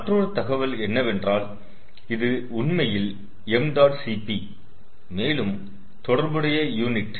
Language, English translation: Tamil, there is another information which is actually m, dot, cp and ah, ah appropriate unit